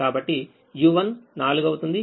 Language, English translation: Telugu, v four is three